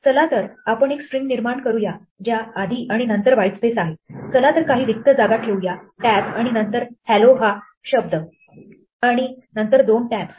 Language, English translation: Marathi, Let us create a string which as whitespace before and afterwards, so let us put some spaces may be a tab and then the word hello and then two tabs